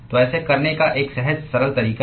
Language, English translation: Hindi, So, there is an intuitively simple way to do this